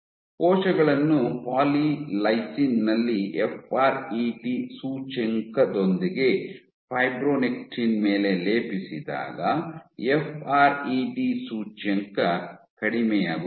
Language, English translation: Kannada, When cells were plated on polylysine whatever with the fret index when they plated it on fibronectin the fret index dropped